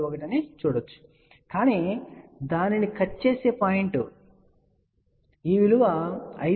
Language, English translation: Telugu, 71 but the point at which it is cut, you can see this value corresponds to 5